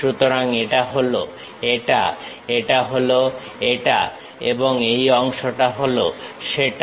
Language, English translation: Bengali, So, this one is this, this one is this and this part is that